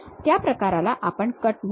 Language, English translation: Marathi, That kind of thing what we call cut